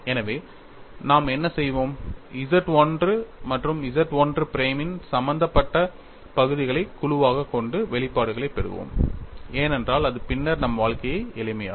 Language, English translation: Tamil, So, what we will do is, we will group the terms involving Z 1 and Z 1 prime and get the expressions, because that will make our lives simple later